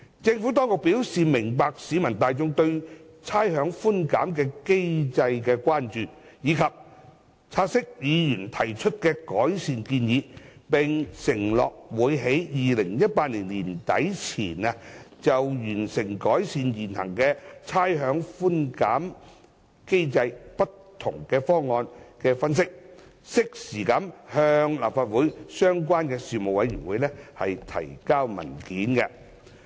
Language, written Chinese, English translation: Cantonese, 政府當局表示明白市民大眾對差餉寬減機制的關注，亦察悉議員提出的改善建議，並承諾會在2018年年底前，完成就改善現行差餉寬減機制不同方案的分析，以及適時向立法會相關的事務委員會提交文件。, The Government fully understands the concerns of the general public about the rates concession mechanism and notes the proposals raised by Members . The Government will endeavour to complete the analysis of options to improve the current rates concession mechanism by the end of 2018 and will provide a paper to the relevant Legislative Council Panel in due course